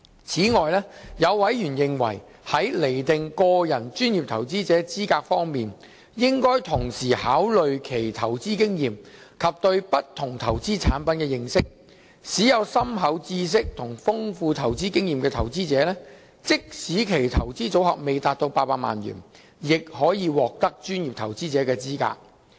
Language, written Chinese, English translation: Cantonese, 此外，有委員認為在釐定個人專業投資者資格方面，應同時考慮其投資經驗及對不同投資產品的認識，使有深厚知識及豐富投資經驗的投資者，即使其投資組合未達到800萬元，亦可獲得專業投資者的資格。, Furthermore some members hold that ones investment experience and knowledge in different investment products should be taken into account when determining the qualification of individual professional investor such that people with in - depth knowledge and rich investment experience can be qualified as professional investors despite their not meeting the monetary threshold of 8 million